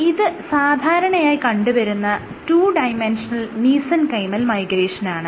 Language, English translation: Malayalam, So, this is just 2 D normal mesenchymal migration